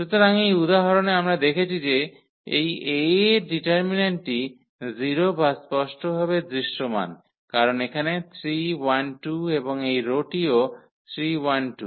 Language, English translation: Bengali, So, in this example we can observe that this determinant of this A is 0 which is clearly visible because here 3 1 2 and this row is also 3 1 2